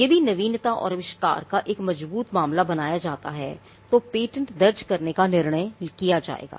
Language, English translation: Hindi, Now, if there is a strong case of novelty and inventiveness that is made out, then a decision to file a patent will be made